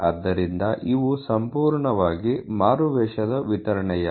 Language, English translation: Kannada, So, there are completely disguised distribution